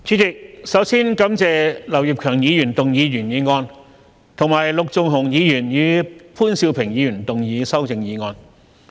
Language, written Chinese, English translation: Cantonese, 主席，首先感謝劉業強議員動議原議案，以及陸頌雄議員和潘兆平議員動議修正案。, President first of all I thank Mr Kenneth LAU for moving his original motion and Mr LUK Chung - hung and Mr POON Siu - ping for moving their amendments